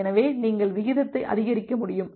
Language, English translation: Tamil, So, you will be able to increase the rate